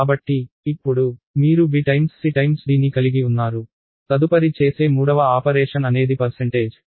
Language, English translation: Telugu, So, now, you have b times c times d the third operation that will be done is percentage